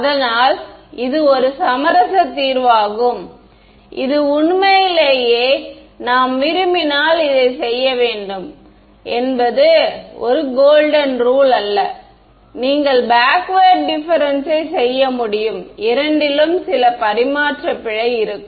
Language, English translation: Tamil, So, that is a compromise solution it is not a golden rule that you have to do this if you really want to do you could do backward difference also both will have some tradeoff in terms of the error